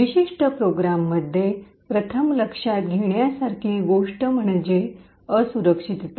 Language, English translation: Marathi, The first thing to note in this particular program is the vulnerability